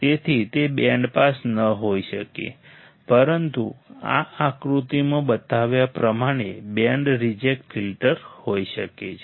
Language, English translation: Gujarati, So, it is are may not band pass, but band reject filter as shown in this figure